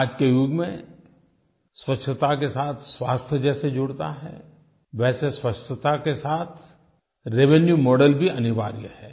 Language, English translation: Hindi, In this age, just as cleanliness is related to health, connecting cleanliness to a revenue model is also equally necessary